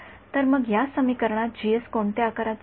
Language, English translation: Marathi, So, in this equation therefore, G S is of what size